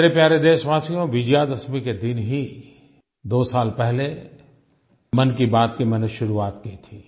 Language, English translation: Hindi, My dear countrymen, I had started 'Mann Ki Baat' on Vijayadashmi two years ago